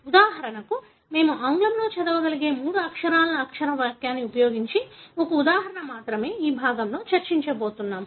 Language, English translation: Telugu, For example, we are going to discuss only this part that is the one example using the three letter alphabetic sentence that we can read in English